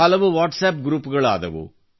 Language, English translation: Kannada, Many WhatsApp groups were formed